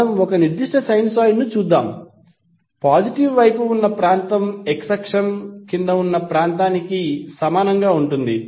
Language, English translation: Telugu, Let us see if you see a particular sinusoid, the area under the positive side would be equal for area below the x axis